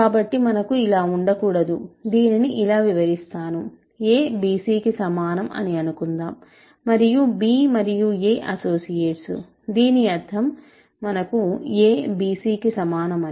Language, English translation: Telugu, So, we cannot have, of course, if just to give you illustrate this; suppose a is equal to bc and b is an b and c are associates, b and a are associates; this means that we have a is equal to bc